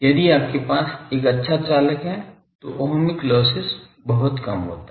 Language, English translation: Hindi, If you have a good conductor , Ohmic loss is very very small